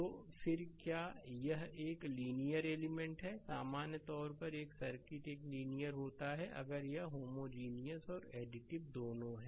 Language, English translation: Hindi, So, then you can say that it is a linear element; in general a circuit is a linear if it is both homogeneous and additive right